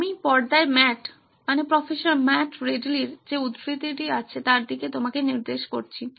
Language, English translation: Bengali, I would like to point you out to the quote that I have on the screen by Matt, Prof Matt Ridley